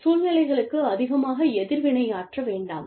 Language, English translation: Tamil, Do not react, overreact to situations